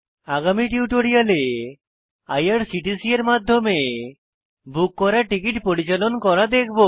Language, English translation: Bengali, In the next tutorial we will discuss how to manage the tickets booked through IRCTC